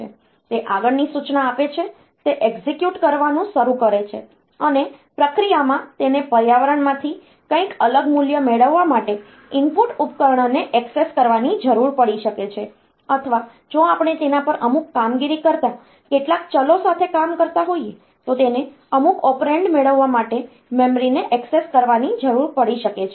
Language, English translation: Gujarati, It gives the next instruction; it starts executing and in the process it may need to access the input device for say getting some different value from the environment or it may need to access the memory to get some operand if it is we were working with some variables doing some operation on that and finally, whatever result is computed if it is required that it will be flashed to the users then they will be put onto the output device